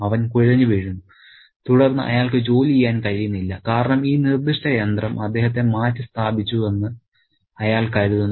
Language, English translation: Malayalam, He just collapses and then he is unable to work and because he thinks he is being replaced by this particular machine